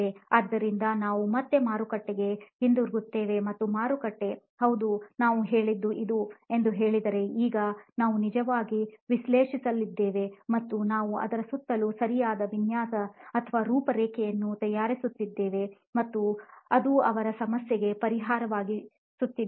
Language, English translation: Kannada, So we again go back to the market and if market says yes this is what we asked for, now we are going to actually analyse and we are going to make a proper design or an outline around it and make it a solution to their problem